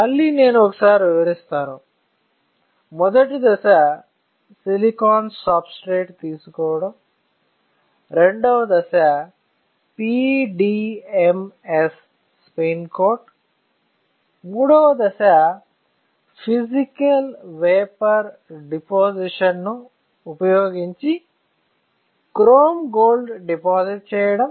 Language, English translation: Telugu, Again I am repeating; the first step is to take a silicon substrate; the second step is spin coat PDMS; the third step is you deposit chrome gold using physical vapor deposition, it can be an E beam evaporator, it can be thermal evaporator